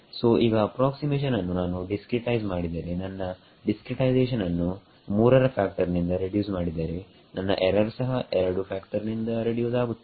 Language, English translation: Kannada, So, what, so the approximation now if I make my discretized if I reduce my discretization by a factor of 3 my error also reduces by a factor of 2